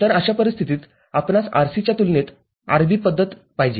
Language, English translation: Marathi, So, in that case we would like to have a RC mode compared to RB